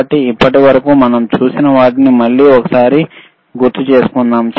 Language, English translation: Telugu, So, what we have seen until now, let us quickly recall right